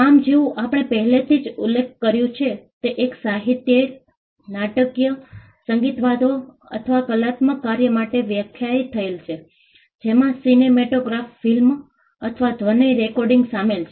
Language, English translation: Gujarati, Work as we already mentioned is defined to mean a literary, dramatic, musical or artistic work it includes a cinematograph film or a sound recording